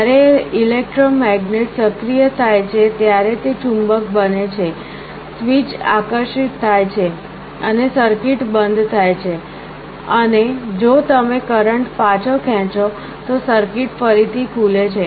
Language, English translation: Gujarati, When the electromagnet is activated, it becomes a magnet, the switch is attracted and the circuit closes and if you withdraw the current the circuit again opens